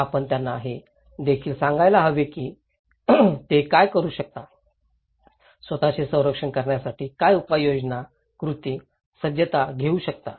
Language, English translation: Marathi, We should also tell them that what they can do, what measures, actions, preparedness they can take to protect themselves